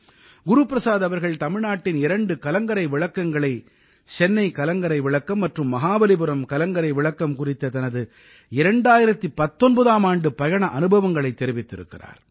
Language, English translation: Tamil, Guru Prasad ji has shared experiences of his travel in 2019 to two light houses Chennai light house and Mahabalipuram light house